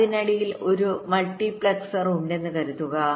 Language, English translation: Malayalam, suppose there is a multiplexer in between